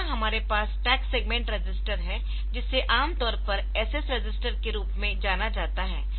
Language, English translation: Hindi, Next we have the stack segment register which is commonly known as the SS register